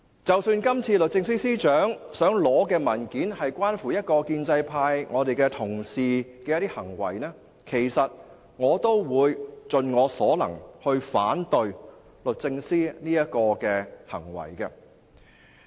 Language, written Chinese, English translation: Cantonese, 即使今次律政司司長要求索取的文件關乎一位非建制派議員的行為，我都會盡我所能反對律政司的這個行動。, Even if the documents requested by the Secretary for Justice concern the conduct of a non - establishment Member I will still try my very best to turn down the Secretarys request